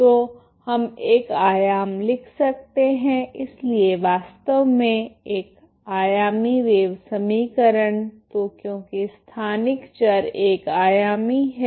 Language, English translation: Hindi, So we can write one dimension, so actually one dimensional wave equation so because spatial variable is only one dimension